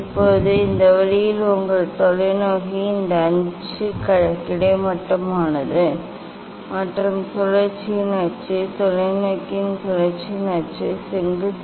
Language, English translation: Tamil, now this way this your telescope, this axis is horizontal and the axis of rotation; axis of rotation of the telescope is vertical